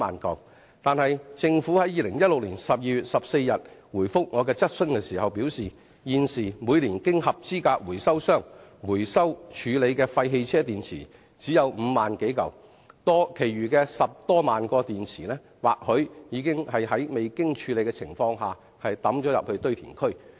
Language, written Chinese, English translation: Cantonese, 但政府在2016年12月14日回覆我的質詢時表示，現時每年經合資格回收商回收處理的廢汽車電池只有5萬多枚，其餘的10多萬枚電池或許在未經處理的情況下掉進堆填區。, However when the Government replied to my question on 14 December 2016 it said that the waste car batteries recycled by qualified recyclers numbered only 50 000 or so a year and the remaining 100 000 or so batteries might have been dumped in landfills without undergoing any proper treatment